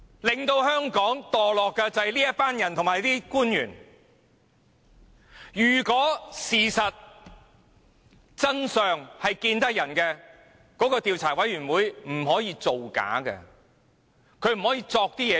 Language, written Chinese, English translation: Cantonese, 令香港墮落的正是這些人及官員，如果真相可以讓人知道，專責委員會絕不會造假，捏造事實。, Consequently during the period when 689 LEUNG Chun - ying was the Chief Executive all motions requesting the appointment of select committees under the Ordinance were voted down